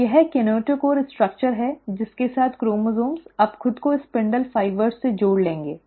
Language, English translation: Hindi, So this is the kinetochore structure with which the chromosomes will now attach themselves to the spindle fibres